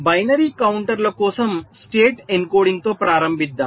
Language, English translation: Telugu, so let us start with state encoding for binary counters